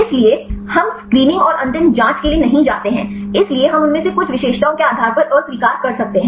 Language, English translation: Hindi, So, we do not go for the screening and the final checking, so we can reject based on the some of these characteristic features